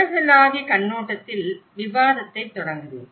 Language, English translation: Tamil, I will start the discussion from a global perspective